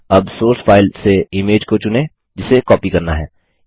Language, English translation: Hindi, Now select the image from the source file which is to be copied